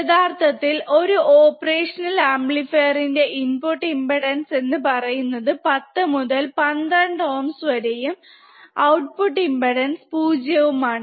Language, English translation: Malayalam, And we will see the input impedance of an practical op amp is around 10 to the power 12 ohms 0 output impedance